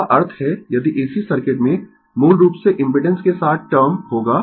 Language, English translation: Hindi, That means, if you in AC circuit, you basically, we will term with impedance